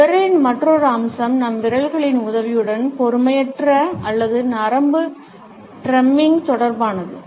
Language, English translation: Tamil, Another aspect of finger is related with the impatient or nervous drumming with the help of our fingers